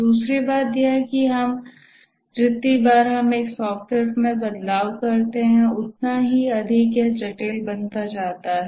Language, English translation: Hindi, The second thing is that each time we make a change to a software, the greater becomes its complexity